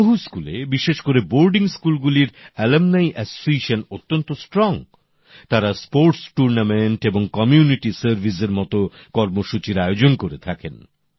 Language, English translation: Bengali, Alumni associations are robust in many schools, especially in boarding schools, where they organize activities like sports tournaments and community service